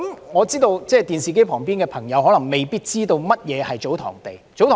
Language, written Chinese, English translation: Cantonese, 我知道電視機旁的朋友未必知道祖堂地是甚麼。, I know that television viewers may not have any idea about TsoTong lands